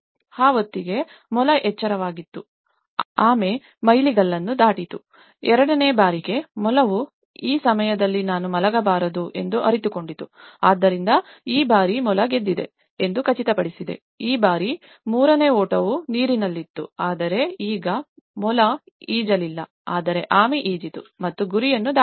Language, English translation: Kannada, By the time, the hare was awake, tortoise have crossed the milestone, in the second time, hare realized that it is this time I should not sleep, so then it has make sure then the hare won this time, the third aspect this time the water; the race was in water but now hare didn’t swim but the tortoise swam and she crossed the target